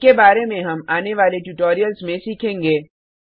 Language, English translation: Hindi, We will learn about these in detail in the coming tutorials